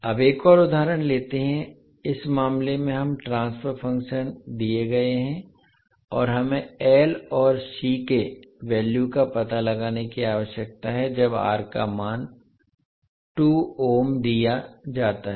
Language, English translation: Hindi, Now let us take another example, in this case we transfer function is given and we need to find out the value of L and C again when the value of R is given that is 2 ohm